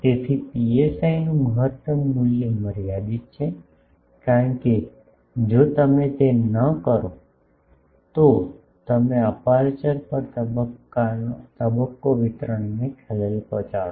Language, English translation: Gujarati, So, maximum value of psi is limited, because if you do not do that then you disturb the phase distribution at the aperture